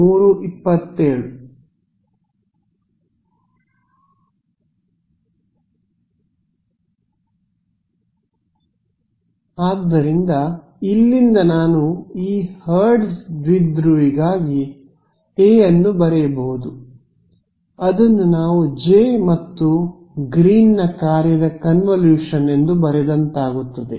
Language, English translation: Kannada, So, from here I can write down A for this Hertz dipole, it is going to be we have written it as the convolution of J and G 3D